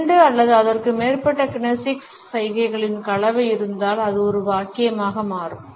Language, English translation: Tamil, If there is a combination of two or more kinesics signals it becomes a sentence